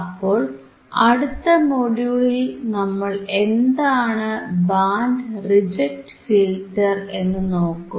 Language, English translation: Malayalam, So, in the next module, we will see what is band reject filter